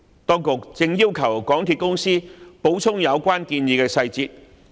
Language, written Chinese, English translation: Cantonese, 當局正要求港鐵公司補充有關建議的細節。, The authorities are requesting MTRCL to provide supplementary details on the relevant proposals